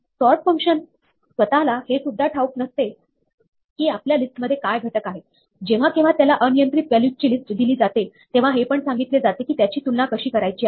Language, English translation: Marathi, The sort function itself does not need to know what the elements in a list are; whenever it is given a list of arbitrary values, it is also told how to compare them